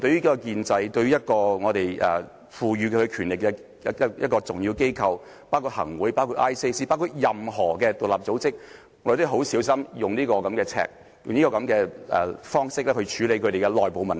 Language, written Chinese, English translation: Cantonese, 對於建制、對於我們賦予權力的重要機構，包括行政會議、廉署或任何獨立組織，我們都要非常小心地使用這把尺，以這樣的方式來處理其內部問題。, This is a very serious thing to do . In regard to the establishment to the important institutions that we have given the power including the Executive Council ICAC or any independent organizations we have to be very careful when using this yardstick or adopting this way to deal with their internal problems